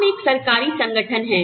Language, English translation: Hindi, We are a government organization